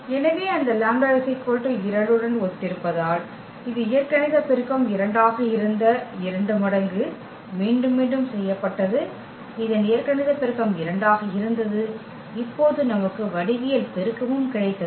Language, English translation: Tamil, So, corresponding to those lambda is equal to 2 because it was repeated this 2 times the algebraic multiplicity was 2, this algebraic multiplicity of this was 2 and we also got now the geometric multiplicity